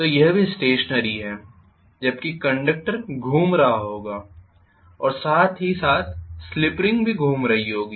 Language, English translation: Hindi, So this is also stationary whereas the conductor will be rotating and simultaneously the slip rings will also be rotating